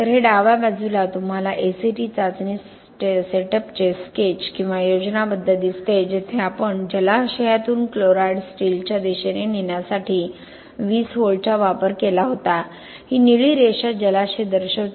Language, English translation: Marathi, So this is on the left side you see a sketch or schematic of the ACT test setup where we used to have 20 volt application of 20 volt to drive the chlorides towards the steel from the reservoir this blue line indicates the reservoir